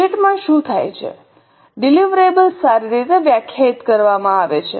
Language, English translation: Gujarati, In budget what happens, the deliverables are well defined